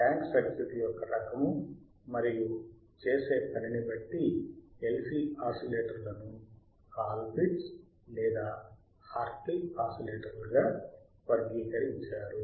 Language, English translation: Telugu, Depending on type of tank circuit and function uses, the LC oscillators are classified as Colpitt’s or Hartley oscillator